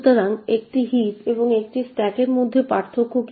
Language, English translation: Bengali, So, what is the difference between a heap and a stack